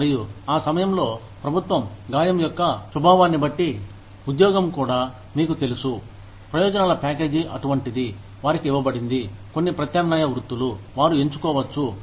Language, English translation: Telugu, And, at that time, the government, depending on the nature of injury, the job itself is, you know, the benefits package is such, that they are given, some alternative profession, that they can choose from